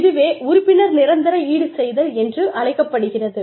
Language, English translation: Tamil, And, that is called membership contingent compensation